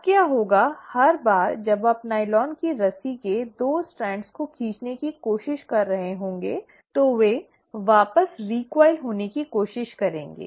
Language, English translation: Hindi, Now what will happen is, every time you are trying to pull apart the 2 strands of the nylon rope, they will try to recoil back